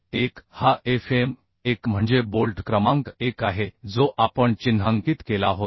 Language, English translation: Marathi, 1 This is Fm1 means bolt number 1 which we had marked at the extreme end so that is coming 0